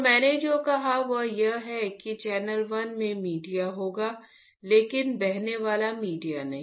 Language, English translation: Hindi, So, what I said is that in the channel 1 there will be media, there will be media, but not flowing media